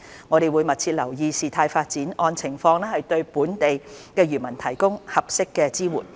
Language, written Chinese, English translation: Cantonese, 我們會密切留意事態發展，按情況對本地漁民提供合適的支援。, We will keep track of the development and render appropriate support to local fishermen when necessary